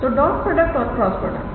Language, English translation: Hindi, So, dot product and this is the cross product